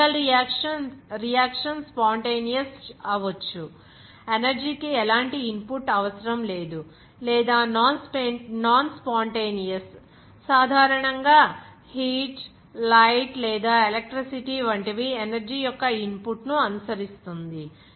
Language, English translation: Telugu, That chemical reaction can be either spontaneous, requiring no input of energy, or non spontaneous, typically following the input of some energy such as heat, light or electricity